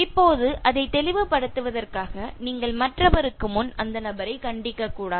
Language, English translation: Tamil, Now to make it clear, so you should not reprimand the person before others